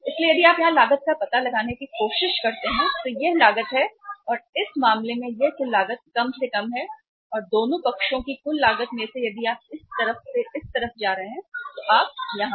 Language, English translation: Hindi, So here if you try to find out the cost here so this is the uh cost and in this case this is the least total cost and uh out of the total cost both the sides if you are going from this side to this side you are here at this level and from this level to this level the cost is very high